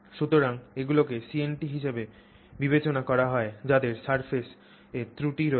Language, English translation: Bengali, So, they are considered as CNTs having surface defects